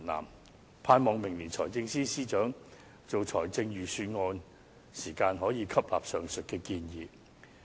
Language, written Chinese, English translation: Cantonese, 我盼望明年財政司司長制訂財政預算案時，可以吸納上述的建議。, I hope the Financial Secretary can take these suggestions on board in compiling the Budget next year